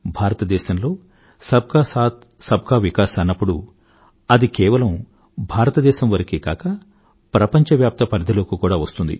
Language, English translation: Telugu, And when we say Sabka Saath, Sabka Vikas, it is not limited to the confines of India